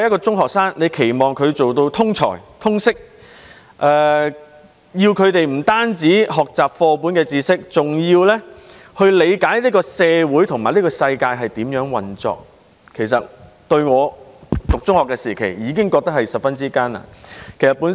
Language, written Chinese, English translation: Cantonese, 中學生要做到通才、通識，不止要學習課本上的知識，還要理解社會和世界如何運作，所以相對我讀中學時的要求是更艱難。, In order for secondary students to be multi - talented and all - rounded they have to learn more than just the knowledge in the textbooks but also to understand how society and the world operate . Thus the expectation of them is much higher than that of mine at secondary level